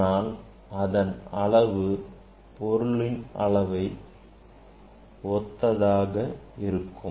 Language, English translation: Tamil, this, but the size of the image will be same as the object size